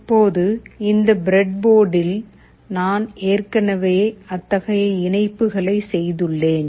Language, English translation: Tamil, Now on this breadboard, I have already made such connections